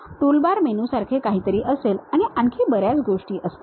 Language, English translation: Marathi, There will be something like toolbars menu and many things will be there